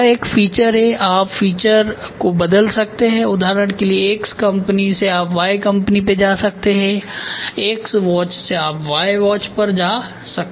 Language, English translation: Hindi, So, it is a feature, you can change the feature for example, from x company you can go to y company from x watch you can go to y watch ok